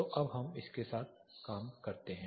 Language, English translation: Hindi, So, let us now work with this